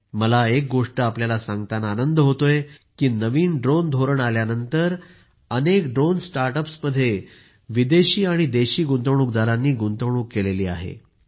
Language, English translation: Marathi, I am happy to inform you that after the introduction of the new drone policy, foreign and domestic investors have invested in many drone startups